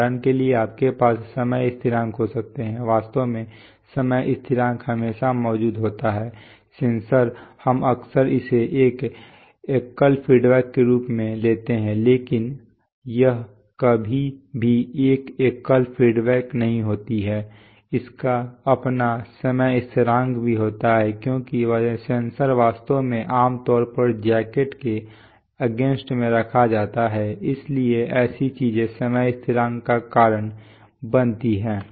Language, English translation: Hindi, For example, you could have time constants in, actually time constants always exists for example, the sensor we often take it as a unity feedback, but it is never exactly unity feedback it has its own time constants also because of the fact that the sensor is actually generally placed in a housing against jacket so such things cause time constants